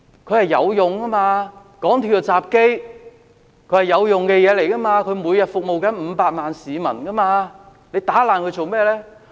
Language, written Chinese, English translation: Cantonese, 它是有用的，港鐵的入閘機，是有用的東西，它每天服務500萬名市民，為何打爛它？, The MTR entry gates serve a function . They are used by 5 million members of the public every day . Why do people smash these facilities?